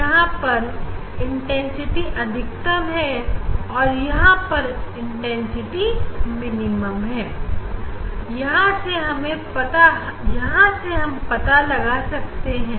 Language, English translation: Hindi, So now, here intensity when intensity will be maximum, when intensity will be minimum; from here you can find out